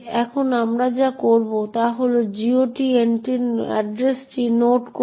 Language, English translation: Bengali, Now, what we will do is note down the address of the GOT entry